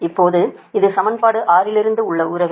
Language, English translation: Tamil, this is the relationship from equation six, right